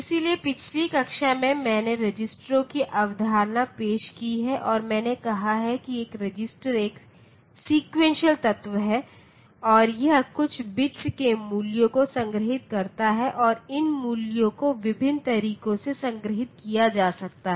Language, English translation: Hindi, So, in the last class I have introduced the concept of registers and I said that a register it is a sequential element and it stores the values of some bits and these values can be stored in different ways it you know